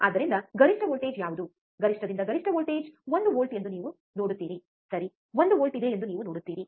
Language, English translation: Kannada, So, you see what is the peak to peak voltage, peak to peak voltage is one volts, right, you see there is a 1 volt